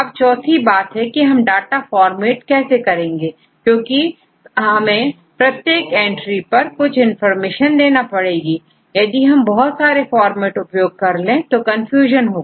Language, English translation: Hindi, So, in the fourth one is the format of the data because for each entry you give some information if you use various format, then the users will be confused